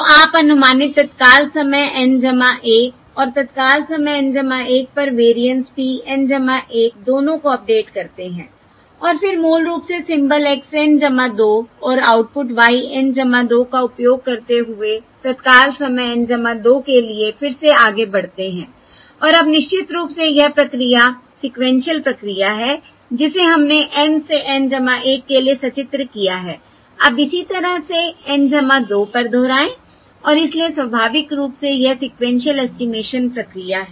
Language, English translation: Hindi, all right, So you update both the estimated time instant N plus 1 and the variance at time instant N plus 1 and then move forward again to time instant N plus 2, using basically the symbol x N plus 2 and output y N plus 2, And this sequential now this procedure, sequential procedure